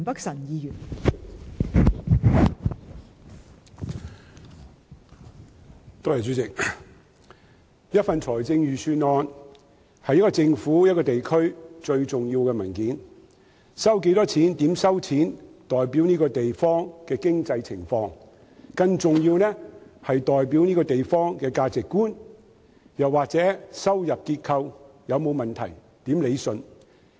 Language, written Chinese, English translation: Cantonese, 代理主席，財政預算案是一個政府、一個地區最重要的文件，收入有多少及收入來源為何，均代表該地方的經濟情況；更重要的是，它代表該地方的價值觀，亦能顯示收入結構有沒有任何問題，應如何理順等。, Deputy Chairman a budget is the most important document for every government and every region . The amount and sources of revenue represent the economic conditions of a place . More importantly it stands for the values of that place